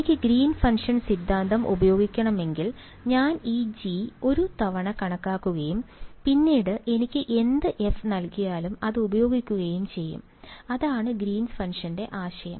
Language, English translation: Malayalam, If I wanted to use the theory of Green’s function, I would calculate this G once and then use it for whatever f is given to me that is the idea of Green’s function